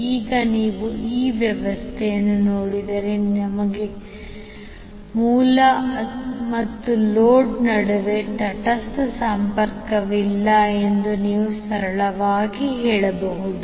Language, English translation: Kannada, Now if you see this particular arrangement, you can simply say that that we do not have neutral connection between the source as well as load